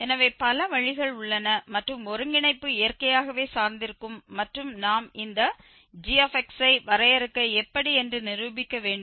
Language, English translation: Tamil, So, there are several ways and the convergence will depend naturally and we will demonstrate this that how do we define this gx